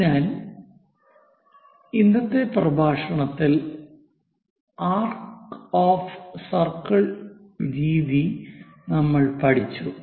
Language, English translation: Malayalam, So, in today's lecture, we have covered this arc of circles method